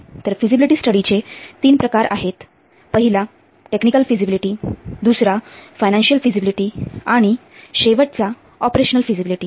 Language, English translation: Marathi, So, one is this technical feasibility, then financial feasibility and operational feasibility